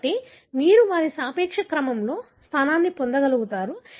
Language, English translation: Telugu, So, this is how you are able to position in their relative order